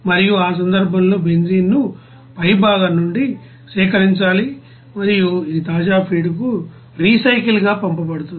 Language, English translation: Telugu, And in that case all the benzene is to be collected in the top and it will be sent as a recycle to the fresh feed